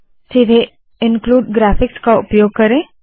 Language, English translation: Hindi, Use include graphics directly